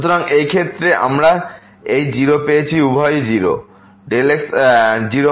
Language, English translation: Bengali, So, in this case we got this 0 both are 0